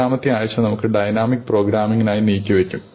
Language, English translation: Malayalam, In the seventh week, we will be devoted to dynamic programming